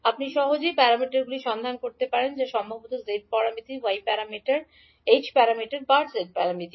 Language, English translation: Bengali, You can easily find out the parameters that maybe z parameters, y parameters, h parameters or g parameters